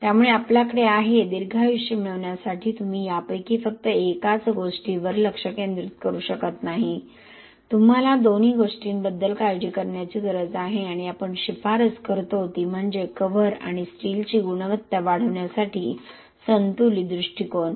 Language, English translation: Marathi, So we have, for achieving a longer life you cannot just focus on only one of this thing, you have to worry about both and what we recommend is a balanced approach to enhance the quality of cover and steel